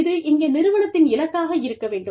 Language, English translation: Tamil, This should be, an organizational goal